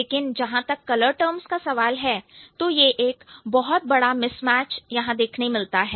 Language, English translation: Hindi, But as far as the color terms are concerned, there is a huge mismatch